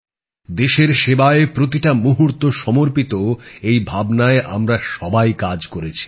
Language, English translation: Bengali, All of us have worked every moment with dedication in the service of the country